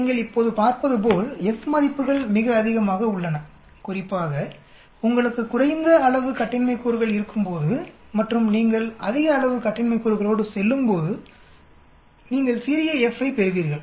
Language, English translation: Tamil, As you can see now, F values are very high especially when you have less number of degrees of freedom and as you go with higher more and more degrees of freedom you will get smaller F